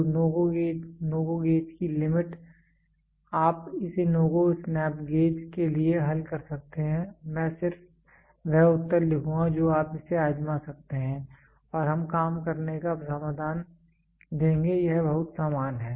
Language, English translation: Hindi, So, the limit for no GO gauge, you can solve it for no GO snap gauge I will just write the answer you can try it and we will give the working solution it is very same